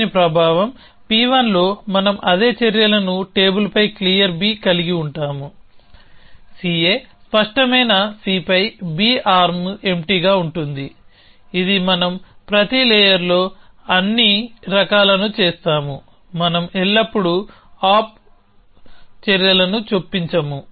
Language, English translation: Telugu, So, as a effect of this, in P 1 we will have the same actions clear B on table, B arm empty on C A clear C, this we will do all the type in every layer, we would always insert no op actions